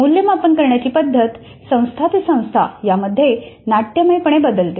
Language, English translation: Marathi, The method of assessment varies dramatically from institution to institution